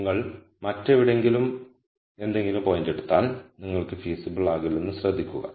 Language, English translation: Malayalam, Notice that if you take any point anywhere else you will not be feasible